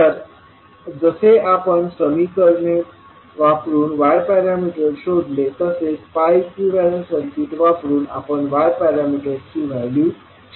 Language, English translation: Marathi, You can directly use the pi equivalent circuit and find out the value of y parameters